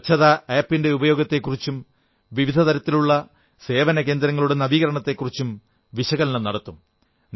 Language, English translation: Malayalam, They will analyse the use of the Cleanliness App and also about bringing reforms and improvements in various kinds of service centres